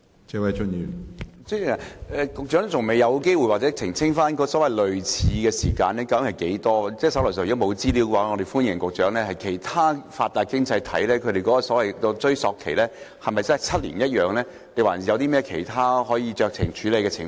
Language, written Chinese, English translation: Cantonese, 主席，局長還未有機會澄清類似的追溯年期究竟是多長，如果局長手上沒有資料，我們歡迎局長事後補充，其他發達經濟體的追溯期是否7年，有否其他可以酌情處理的情況？, President the Secretary has not yet elucidated on the exact duration of similar retrospective periods . If the Secretary does not have the information on hand we welcome him to provide supplementary information later on . Are the retrospective periods in other developed economies likewise seven years?